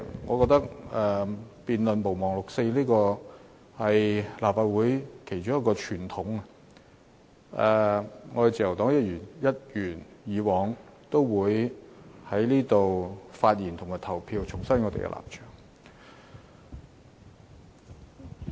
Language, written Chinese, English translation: Cantonese, 我覺得辯論"毋忘六四"的議案是立法會其中一個傳統，自由黨會一如既往就議案發言和投票，重申我們的立場。, I think our motion debates on Not forgetting the 4 June incident have become an important tradition of the Legislative Council . As in the past Members of the Liberal Party will reaffirm our position through speaking and voting on the motion